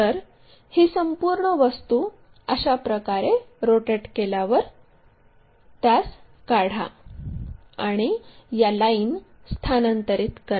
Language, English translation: Marathi, So, this entire object is rotated in such a way that the same thing rotate it, draw it, and transfer this lens